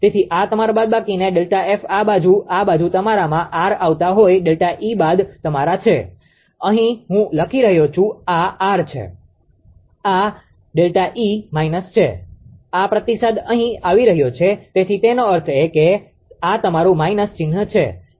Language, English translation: Gujarati, So, this is your minus delta F and this side ah this side is coming R into to your delta E minus u are; here I am writing this is R, this is delta E minus u this feedback is coming here right so that means, this is your minus sign is there